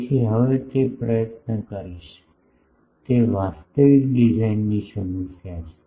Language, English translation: Gujarati, So, that will now attempt, that is the actual design problem